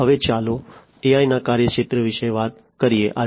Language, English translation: Gujarati, Now, let us talk about the scope of AI